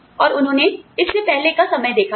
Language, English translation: Hindi, And, they saw a time, before this